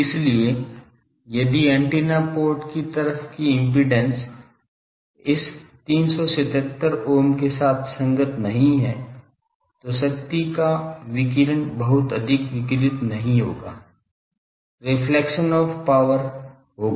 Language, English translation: Hindi, So, if the impedance looking at the antenna port is not compatible to this 377 ohm, then the radiation of the power will not be radiated much there will be reflection of power